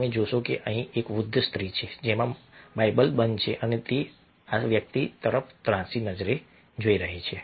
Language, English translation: Gujarati, you will find that there is an old women over here with the bible folded and he is looking obliquely at this person